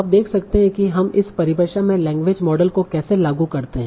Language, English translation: Hindi, Now can you see how do we apply language models in this definition